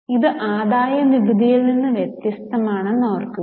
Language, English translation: Malayalam, Keep in mind, this is different from the income tax